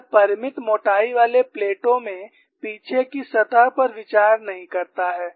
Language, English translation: Hindi, It does not consider the back free surface in finite thickness plates